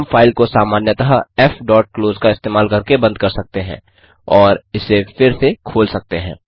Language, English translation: Hindi, We could, as usual close the file using f.close and re open it